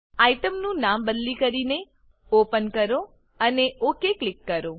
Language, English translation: Gujarati, Rename the item to Open and click OK